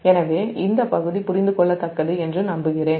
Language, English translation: Tamil, so i hope this part is understandable, right